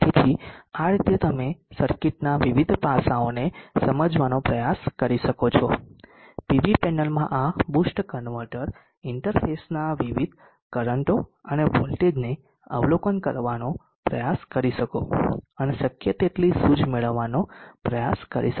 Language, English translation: Gujarati, So in this way you can try to understand the various aspects of the circuit, try to observe the various currents and the voltages of this boost converter interface to the PV panel, and try to get a much insight as possible